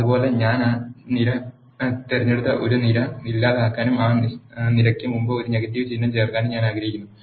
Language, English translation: Malayalam, Similarly, I want to delete a column one I chose that column and then insert a negative symbol before that column